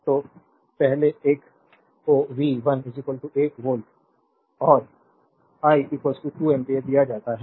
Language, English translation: Hindi, So, first one is given V 1 is equal to 1 volt and I is equal to 2 ampere